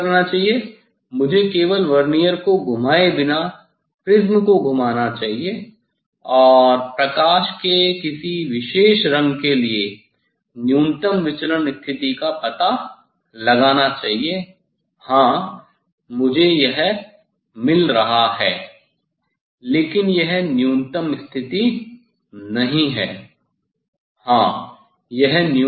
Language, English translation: Hindi, What I should do only I should rotate the prism without rotating the Vernier and find out the minimum deviation position for a particular light colour, yes, I got it yes, but this not the minimum position